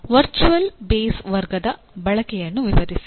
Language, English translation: Kannada, Explain the use of virtual base class